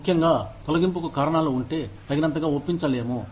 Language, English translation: Telugu, Especially, if the reasons for the layoff, are not convincing enough